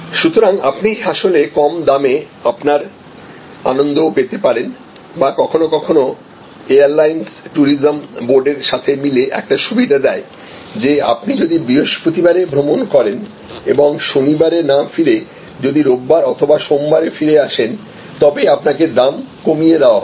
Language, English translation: Bengali, So, you actually get your happiness at a lower price or sometimes airlines give a deal in consumption in the tourism board, that the, you will have to lower price if you travel on Thursday and do not return on Saturday, but you return on Sunday or you return on Monday